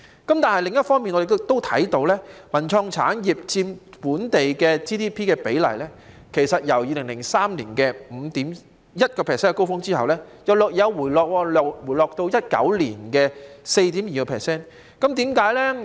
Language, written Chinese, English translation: Cantonese, 但是，另一方面，我們亦留意到，文化創意產業佔 GDP 的比例，在2003年達至 5.1% 的高峰後，便稍為回落至2019年的 4.2%。, On the other hand however we notice that percentage of GDP contributed by the cultural and creative industries had dropped from its peak of 5.1 % in 2003 to 4.2 % in 2019